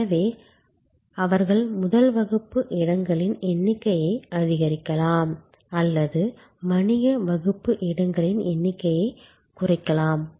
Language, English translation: Tamil, So, they can increase the number of first class seats or business class seats reducing the number of economy seats